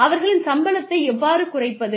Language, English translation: Tamil, How do we deduct their salaries